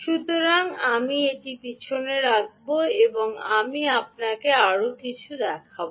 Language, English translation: Bengali, so i will put this back and i will show you something more